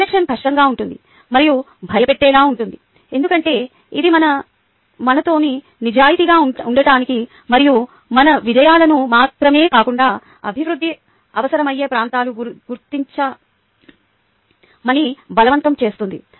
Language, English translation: Telugu, reflection can be difficult, even threatening, because it forces us to be honest with ourselves and recognize not only our successes but areas needing improvement